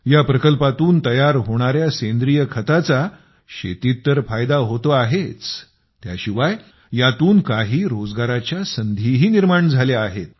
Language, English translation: Marathi, The biofertilizer prepared from this unit has not only benefited a lot in agriculture ; it has also brought employment opportunities to the people